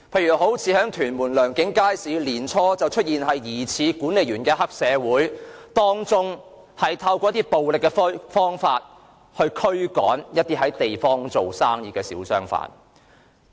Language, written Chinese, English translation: Cantonese, 以屯門良景街市為例，年初曾出現疑似黑社會的管理員，以暴力方法驅趕在地方做生意的小商販。, Take Leung King Market in Tuen Mum as an example . Early this year it was discovered that estate caretakers expelling hawkers there were suspected to be triad members